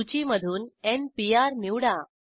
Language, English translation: Marathi, Select n Pr for from the list